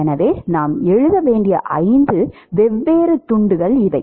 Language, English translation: Tamil, So, these are the five different pieces that we have to write